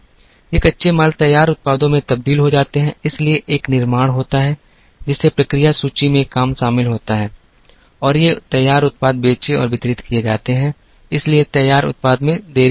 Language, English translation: Hindi, These raw materials are transformed into finished products, so there is a manufacturing, which involves work in process inventory and these finished products are sold and distributed, so there is a finished product delay